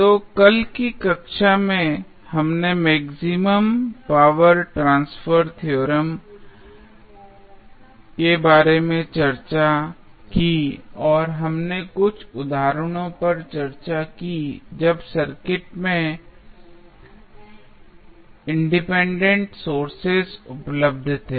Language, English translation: Hindi, So, in yesterday's class we discussed about the maximum power transfer theorem and we discuss few of the examples when independent sources were available in the circuit